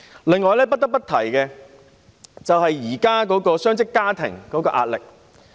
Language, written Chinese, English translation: Cantonese, 此外，我亦不得不提述雙職家庭的壓力。, Besides I must also talk about the pressure faced by dual - income families